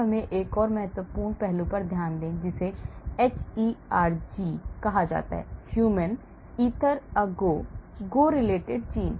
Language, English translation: Hindi, now let us look at another important aspect that is called hERG, the human Ether a go go related gene , Ether a go go related gene